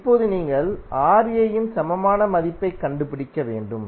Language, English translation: Tamil, Now, you need to find the equivalent value of Ra